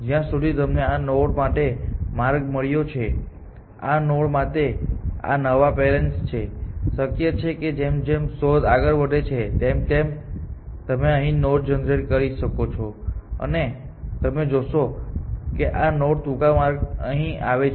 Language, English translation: Gujarati, Where as so this was the this is the path that you have you have just found for this node, this is the new parent that you have just found it is possible that as search progresses you may generate a node here, and you will find that the shorter paths to this node is via here and not like this